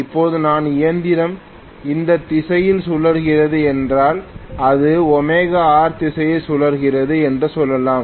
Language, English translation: Tamil, Now, if my machine is rotating in this direction let us say it is rotating in this direction in omega R